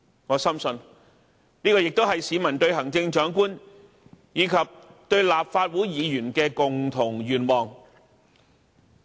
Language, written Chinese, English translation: Cantonese, 我深信，這也是市民對行政長官，以及對立法會議員的共同期望。, I strongly believe that all these are what the public expect of the Chief Executive and Members of the Legislative Council